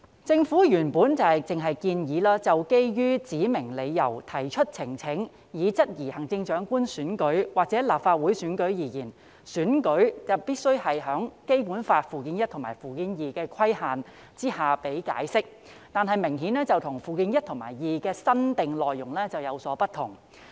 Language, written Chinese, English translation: Cantonese, 政府原本只建議，就基於指明理由提出呈請以質疑行政長官選舉或立法會選舉而言，選舉必須在《基本法》附件一和附件二的規限下予以解釋，但這明顯與附件一和附件二的新訂內容有所不同。, The Government originally proposed that in respect of election petition made on specified grounds to question the Chief Executive election or Legislative Council elections the elections are to be construed subject to Annex I and Annex II to the Basic Law . However this is obviously different from the new content of Annex I and Annex II